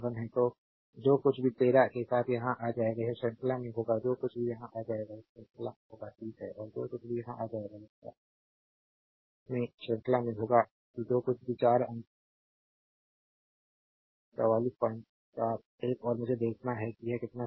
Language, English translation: Hindi, So, whatever will come here with the 13 it will be in series whatever will come here it will be in series is 30 and whatever will come here it will be in series in 40 that is whatever you have got 4 point 4 four 8